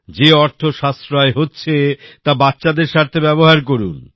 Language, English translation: Bengali, The money that is saved, use it for the betterment of the children